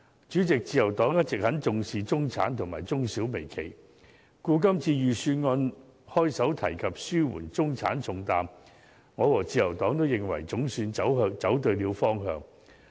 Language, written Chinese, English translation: Cantonese, 主席，自由黨一直很重視中產及中小微企，故此今次財政預算案開首提及紓緩中產重擔，我和自由黨均認為總算走對了方向。, President the Liberal Party has all along been very concerned about the middle class small and medium enterprises SMEs and micro - enterprises . Along with the Liberal Party I consider it a step in the right direction for the Budget this year to start with initiatives to ease the heavy burden of the middle - class people